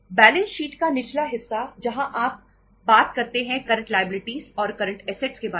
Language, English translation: Hindi, Lower part of the balance sheet where you talk about current liabilities and current assets